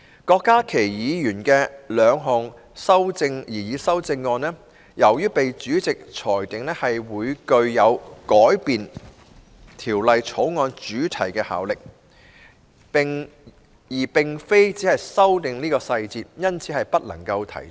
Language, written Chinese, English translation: Cantonese, 郭家麒議員的兩項擬議修正案，由於被主席裁定會具有改變《條例草案》主題的效力，而並非只是修訂其細節，因此不可提出。, The two proposed amendments of Dr KWOK Ka - ki were ruled inadmissible by the President on the ground that they would have the effect of altering the subject matter of the Bill and not merely amending its details